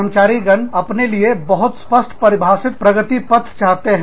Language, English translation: Hindi, Employees want, very clearly defined career path, for themselves